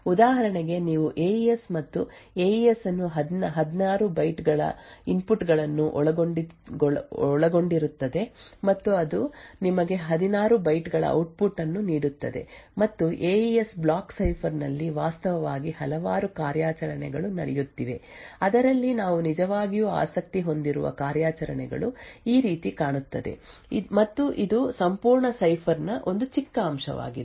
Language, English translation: Kannada, So for example if you consider a AES and AES comprises of 16 bytes of input and it would give you 16 bytes of output and there are several operations which are actually going on inside the AES block cipher out of which the operations that we were actually interested in looks something like this and is a very small component of the entire cipher